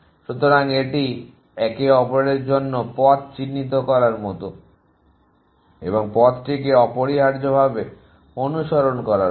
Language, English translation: Bengali, So, it is like marking out pass for each other and following the pass essentially